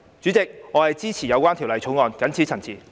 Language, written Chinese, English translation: Cantonese, 主席，我謹此陳辭，支持《條例草案》。, With these remarks President I support the Bill